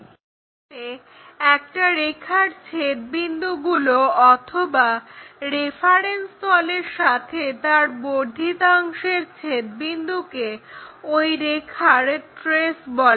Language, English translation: Bengali, So, the point of intersections of a line or their extension with respect to the reference planes are called traces of a line